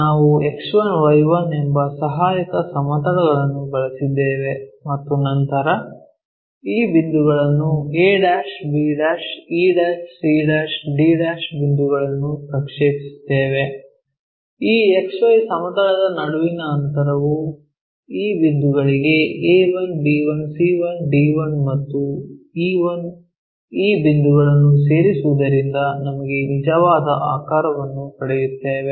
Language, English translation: Kannada, We have used a auxiliary plane X1Y1 then projected these points a', b', e', c', d' points in such a way that the distance between these XY plane to these points represented into a1, b1, c1 and d1 and e1, joining these things we got the true shape